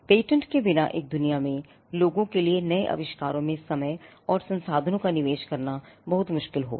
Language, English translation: Hindi, In a world without patents, it would be very difficult for people to invest time and resources in coming up with new inventions